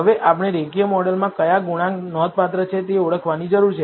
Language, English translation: Gujarati, Now, we need to identify which coefficients in the linear model are significant